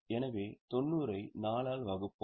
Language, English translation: Tamil, So, we will simply divide 90 by 4